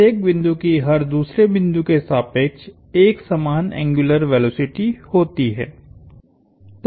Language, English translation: Hindi, Every point has the same angular velocity about every other point